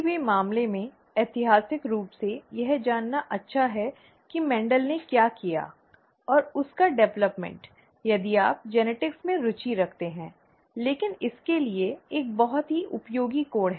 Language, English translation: Hindi, In any case, historically it is nice to know what Mendel did and the development of that if you are interested in genetics; but there is a very useful angle to it